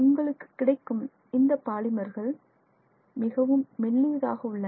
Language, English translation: Tamil, It is many of those polymers you can get in transparent form